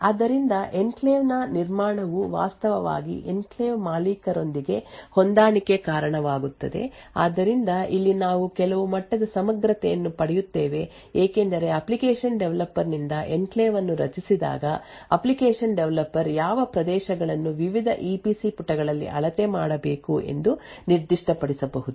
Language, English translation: Kannada, So construction of the enclave would actually result in a matching with the enclave owner so this is where we actually would obtain some level of integrity because when an enclave gets created by an application developer the application developer could actually specify which regions in the various EPC pages should be measured